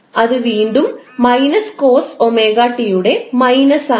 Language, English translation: Malayalam, That is again minus of COS omega T